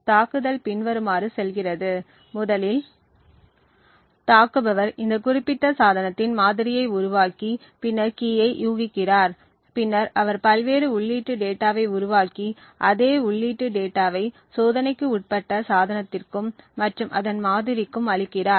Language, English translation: Tamil, Now the attack goes as follows, first the attacker creates a model of this particular device and then also guesses the key and then he generates various input data and feeds the same input data to the device which is under test as well as to the model of that device